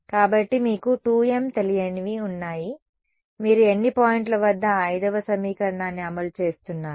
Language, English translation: Telugu, So, you have 2 m unknowns at how many points on the boundary are you testing are you enforcing equation 5